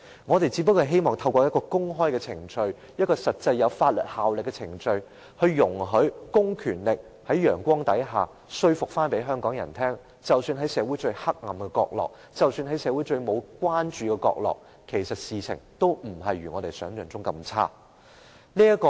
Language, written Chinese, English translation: Cantonese, 我們只想透過公開程序、一個實際有法律效力的程序，容許公權力在陽光下，說服香港人即使在社會上最黑暗的角落、在社會上最沒有關注的角落，事情其實也不如我們想象般差。, We merely wish to resort to an open procedure one which has actual legal effects to enable the department vested with public power to convince Hong Kong people under the sun that even at the darkest corner in society even at the corner of utterly no concern to the community things are actually not as appalling as we have imagined